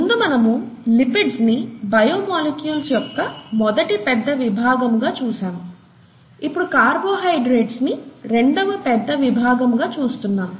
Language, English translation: Telugu, Earlier we saw lipids as one major class of biomolecules, now we are seeing carbohydrates as the second major class of biomolecules